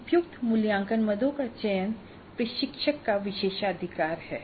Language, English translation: Hindi, The selection of appropriate assessment items is the prerogative of the instructor